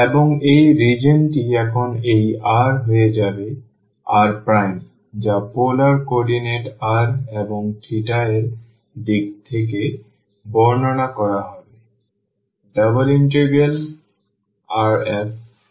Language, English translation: Bengali, And this region now this r will be r prime will be described in terms of the polar coordinates r and theta